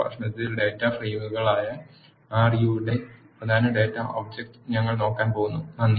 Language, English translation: Malayalam, In the next lecture, we are going to look at the important data object of R which is data frames